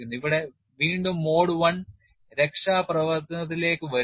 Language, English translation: Malayalam, And here again mode one comes to the rescue